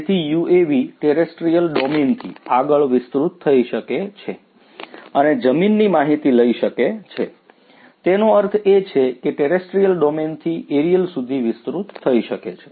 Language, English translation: Gujarati, So, UAVs can extend beyond the terrestrial domain and carry the information from the ground; that means, from the terrestrial domain to the air aerial